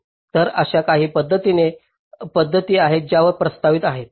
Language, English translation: Marathi, so these are some methods which have been proposed